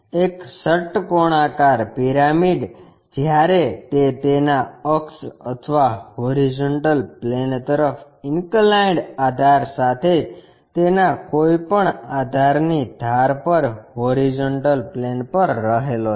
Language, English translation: Gujarati, A hexagonal pyramid when it lies on horizontal plane on one of its base edges with its axis or the base inclined to horizontal plane